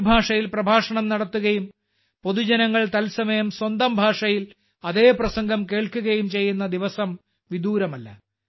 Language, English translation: Malayalam, The day is not far when an address will be delivered in one language and the public will listen to the same speech in their own language in real time